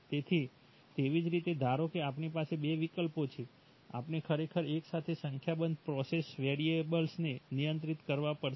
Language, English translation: Gujarati, So similarly suppose we are, we have two options, we actually have to simultaneously control a number of process variables